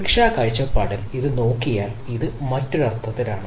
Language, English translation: Malayalam, in other sense, if we look at the security point of view this